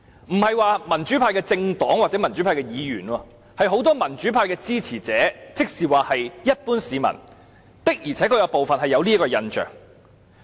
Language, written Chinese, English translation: Cantonese, 我不是指民主派的政黨或民主派的議員有這印象，而是很多民主派支持者，也就是一般市民的而且確有這種印象。, I am referring to many of the supporters of democracy not the pro - democracy political parties or Members . In other words the general public actually have such an impression